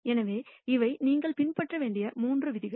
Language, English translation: Tamil, So, these are the though three rules that you should follow